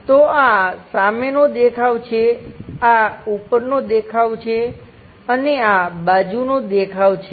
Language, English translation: Gujarati, So, this is front view, this is top view, and side view is this